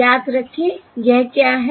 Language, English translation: Hindi, Remember what is this